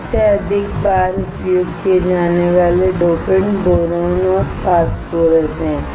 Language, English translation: Hindi, The most frequently used dopants are boron and phosphorus